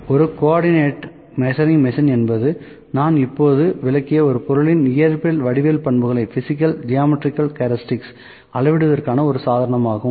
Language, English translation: Tamil, Now, I like to move to a co ordinate measuring machine A co ordinate measuring machine is a device for measuring the physical geometrical characteristics of an object this I have just explained